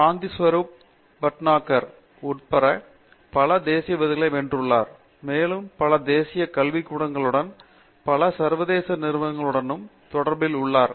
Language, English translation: Tamil, He is a highly decorated metallurgist, has won many national awards including the Shanthi Swarup Bhatnagar Award, and he is also the fellow of several national academies and also in many international organizations